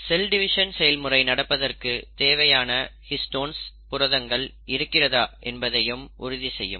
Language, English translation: Tamil, The cell will also ensure that there is a sufficient histone proteins which are available for the process of cell division to take place